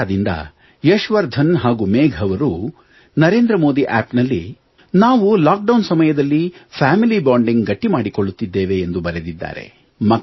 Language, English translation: Kannada, Yashvardhan from Kota have written on the Namo app, that they are increasing family bonding during the lock down